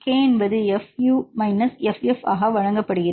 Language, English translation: Tamil, k is given as fU minus ff, here fU you calculate 0